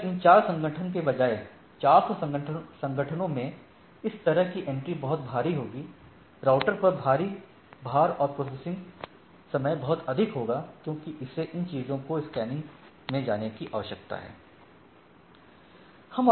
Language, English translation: Hindi, So, if instead of these 4 organization, in 400 organizations such like this things that will be it will be heavy, a huge load on this type of router and the processing time will be much higher because, it need to go to this scanning these things